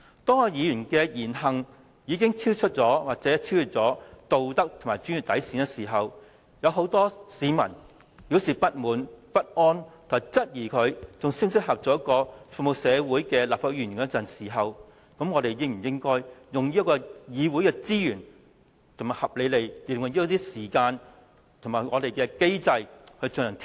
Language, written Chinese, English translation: Cantonese, 當議員的言行已經超出或超越道德和專業底線，有很多市民表示不滿、不安，並質疑何議員是否仍適合擔任服務社會的立法會議員時，我們應否運用議會的資源，合理地使用一些時間，並按立法會既有機制來進行調查？, Discontent and inquietude among quite a large numbers of members of the public were triggered as the words and deeds of a Member of ours has contravened both the moral code and code of professional conduct . The queried whether Dr HO is still fit to act as a legislator serving the community . Given the above should we not make use of the Councils resources and spend a reasonable amount of time to conduct investigations under the established mechanism of this Council?